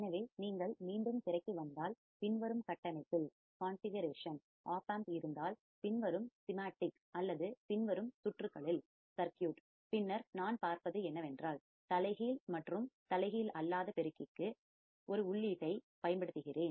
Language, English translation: Tamil, So, if you come back to the screen, so if I have an opamp in the following configuration, in the following schematic or following circuit, then what I see is that I am applying an input to the inverting as well as non inverting amplifier correct applying an input to the inverting as well as non inverting terminal of the amplifier